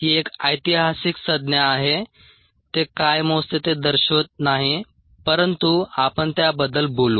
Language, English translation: Marathi, it doesn't represent what it measures but we will talk about